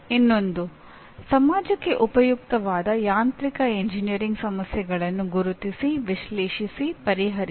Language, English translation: Kannada, Another one Identify, analyze, solve mechanical engineering problems useful to the society